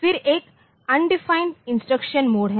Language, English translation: Hindi, Then there is one undefined instruction mode